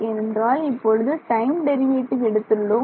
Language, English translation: Tamil, I am trying to approximate the time derivative second time derivative